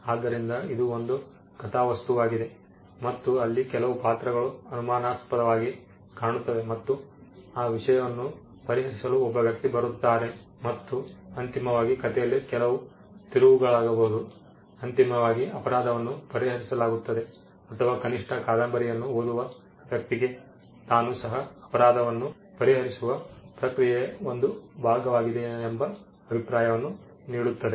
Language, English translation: Kannada, So, this is the genre there is a plot there is an even that happens and there are a set of characters all looking suspicious and there is a person who would come to solve that thing and eventually they could be some twist in the tale, eventually the crime is solved or at least the person who reads the novel is given an impression that he got he was a part of a process of solving something